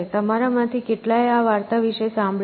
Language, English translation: Gujarati, So, as you know, how many of you heard about this story